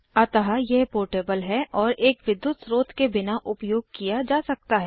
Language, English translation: Hindi, Hence, it is portable and can be used away from a power source